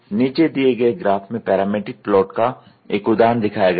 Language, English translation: Hindi, Figure below shows an example of a parametric plot